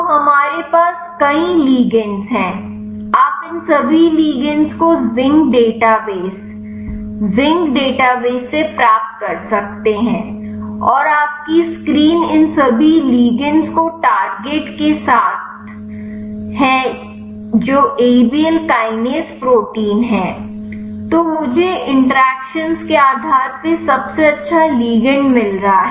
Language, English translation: Hindi, So, we have several ligands you can obtain all these ligands from zinc database, and your screen all these ligands with the target that is abs Abl kinase protein, then I am find the best ligand based on the interactions right